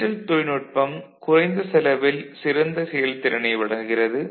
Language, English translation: Tamil, The digital technology provides better performance at the lower cost